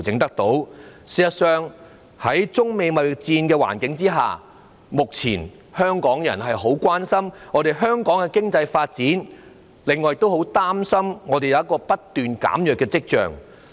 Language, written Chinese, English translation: Cantonese, 事實上，在中美貿易戰的環境下，香港人目前很關心香港的經濟發展，另外也很擔心經濟發展出現了不斷減弱的跡象。, In fact against the background of the trade war between China and the United States Hong Kong people now feel gravely concerned about Hong Kongs economic development and they are also concerned about signs of control slowing down of the economic development